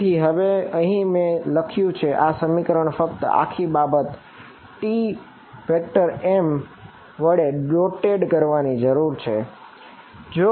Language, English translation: Gujarati, So, right now what I have written over here this expression just whole thing needs to be dotted with T m